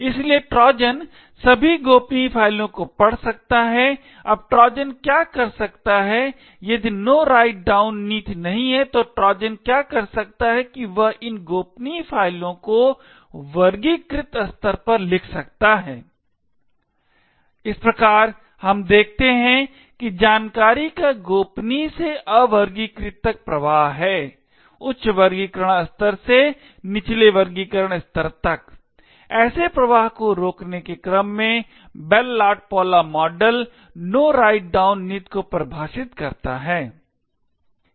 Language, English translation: Hindi, Therefore the Trojan can read all the confidential files, now what the Trojan can do if there is No Write Down policy what this Trojan could do is that it could write this confidential files to the classified level, thus we see that there is a flow of information from confidential to unclassified, in order to prevent such flows from a higher classification level to a lower classification level the Bell LaPadula model defines the No Write Down policy